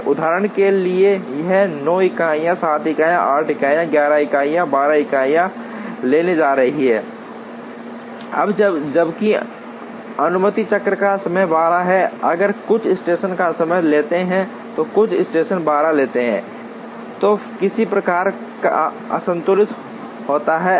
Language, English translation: Hindi, For example, this is going to take 9 units 7 units 8 units 11 units 12 units, now when even though the allowed cycle time is 12, if some stations take less time and some stations take 12, there is some kind of an imbalance